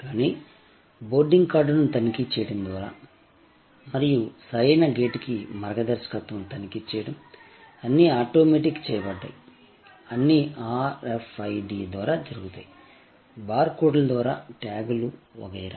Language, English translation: Telugu, But, the checking of the boarding card and checking of the guidance to the right gate, everything was automated, everything happen through RFID, tags through barcodes and so on and so forth